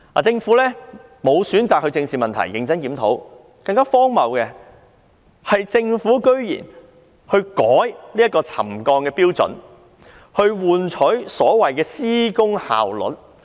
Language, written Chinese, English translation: Cantonese, 政府選擇不正視問題和認真檢討，更荒謬的是，政府居然還更改了沉降標準，從而換取所謂的施工效率。, The Government chose not to address the problem squarely by carrying out a review in earnest . Even more ridiculously the Government went so far as to revise the trigger levels in exchange for the so - called construction efficiency